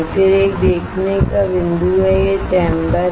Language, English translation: Hindi, Then there is a viewing point this is the chamber